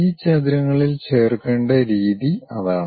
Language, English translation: Malayalam, That is the way we have to join these rectangles